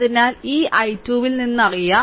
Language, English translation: Malayalam, So, from this i 2 is known